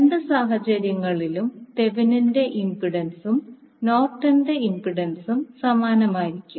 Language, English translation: Malayalam, And in both of the cases your Thevenin’s impedance and Norton’s impedance will be same